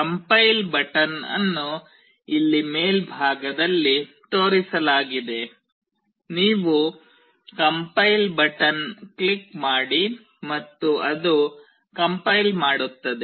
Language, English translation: Kannada, The compile button is shown here at the top; you click on the compile button and then it will compile